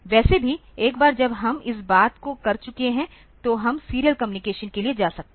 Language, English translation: Hindi, Anyway so, once we have done this thing; so, we can go for the serial communication